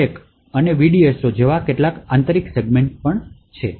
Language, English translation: Gujarati, Also present is the stack and some internal segments like the VDSO